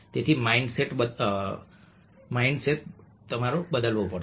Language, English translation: Gujarati, so the mindset has to be changed